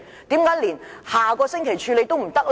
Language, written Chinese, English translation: Cantonese, 為何連下星期處理也不可以？, Why cant it deferred to next week?